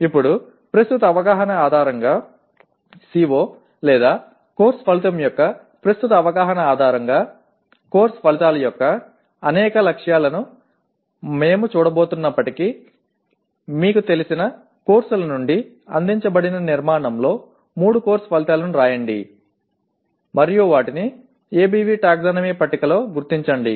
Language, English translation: Telugu, Now, based on the current understanding, though we are going to look at many more features of course outcomes, based on the present understanding of the CO or course outcome, write three course outcomes in the structure presented from the courses you are familiar with and locate them in ABV taxonomy table